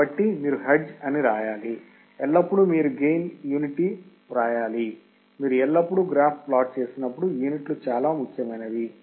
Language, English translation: Telugu, So, you have to write hertz, you have to write gain write always unit, always when you plot the graph, write units very important